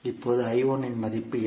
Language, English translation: Tamil, Now what is the value of I1